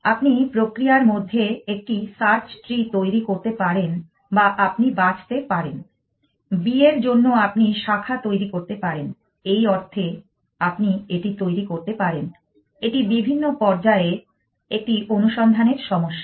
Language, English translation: Bengali, You would generate a search tree in the process or you can say pick you can have branches for b at the sense you can formulate it was the search problem at various stages